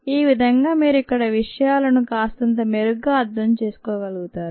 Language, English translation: Telugu, this way you might be able to understand things a little better here